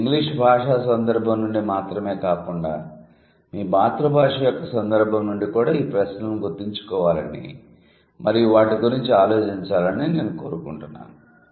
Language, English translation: Telugu, So, I want you to remember these questions and to think about it, not only from the context of English, but also from the context of your own first language